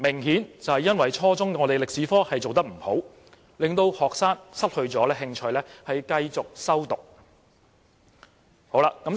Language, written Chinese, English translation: Cantonese, 顯然因為初中中史科的安排有欠妥善，令學生失去興趣繼續修讀。, The obvious reason is that the improper arrangement of Chinese History at junior secondary level has made students lost interest in taking the subject